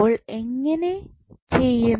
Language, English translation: Malayalam, So, how we will do